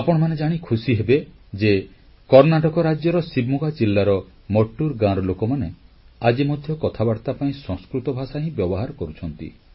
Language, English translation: Odia, You will be pleased to know that even today, residents of village Mattur in Shivamoga district of Karnataka use Sanskrit as their lingua franca